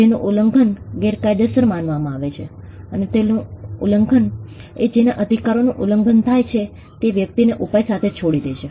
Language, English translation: Gujarati, The violation of which is deemed as unlawful, and the violation of which leaves the person whose right is violated with a remedy